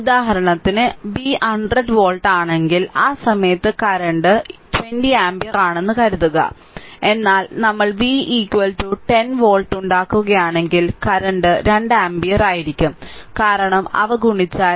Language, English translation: Malayalam, So, I told it that v for example, suppose here I have taken whatever I said same thing suppose if v is 100 volt see at that time current is 20 ampere, but if we make v is equal to 10 volt, the current will be 2 ampere right, because you are multiplying k is equal to say 0